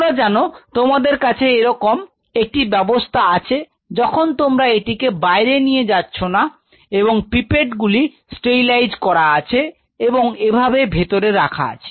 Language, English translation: Bengali, You know you can have system where you are not exposing them out and you have a sterilized pipette tips, which are kept inside something like this